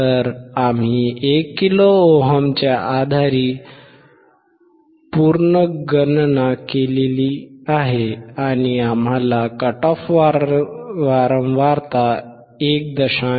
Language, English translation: Marathi, So, we have recalculated based on 1 kilo ohm, and what we found is the cut off frequency, 1